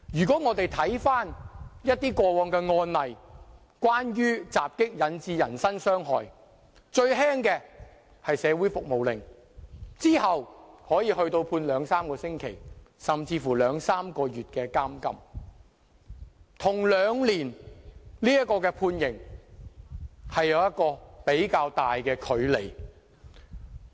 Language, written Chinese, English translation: Cantonese, 過往的一些關於襲擊引致人身傷害的案例，最輕的刑罰是社會服務令，之後是判處兩三個星期，甚至兩三個月的監禁，跟刑期兩年有比較大的距離。, In past cases of assault occasioning actual bodily harm the lightest punishment was a community service order while the heavier sentence would be imprisonment for two or three weeks or even two or three months and there is quite big a difference compared to a two - year term of imprisonment